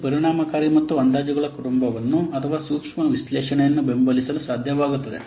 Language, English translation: Kannada, It is efficient and able to support a family of estimations or a sensitive analysis